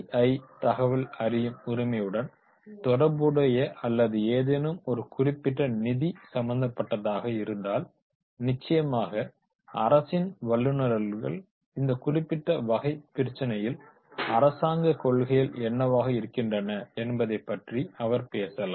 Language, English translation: Tamil, If it is related with the RTI or related to any particular finance, then definitely the expert from government that he can also talk about the rules and regulations that is the what government policy is there on this particular type of issues